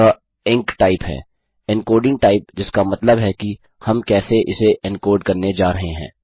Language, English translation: Hindi, Its enctype, encoding type which means how we are going to encode this